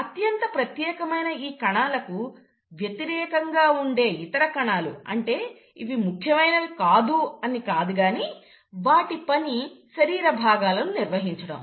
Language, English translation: Telugu, In contrast to these highly specialized cells, I won't say the other group of cells are not specialized, but then their function is to maintain the body parts